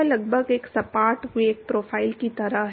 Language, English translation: Hindi, So, it is almost like a flat velocity profile